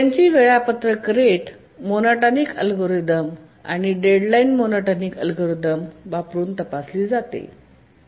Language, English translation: Marathi, Now we need to check for their schedulability using the rate monotonic algorithm and the deadline monotonic algorithm